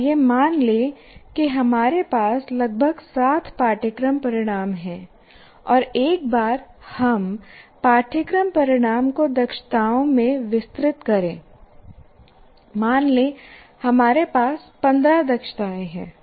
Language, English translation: Hindi, Let us assume we have about the seven course outcomes and once we elaborate the course outcomes into competencies, let's say we have about 15 competencies